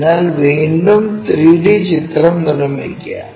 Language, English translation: Malayalam, So, again construct our 3 D picture